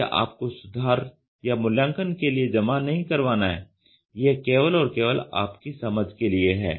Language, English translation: Hindi, You do not have to submit it for correction or evaluation it is only for your understanding